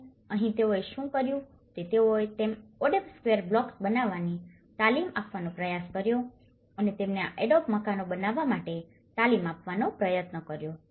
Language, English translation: Gujarati, And here, what they did was they tried to train them making adobe square blocks and train them in making this adobe houses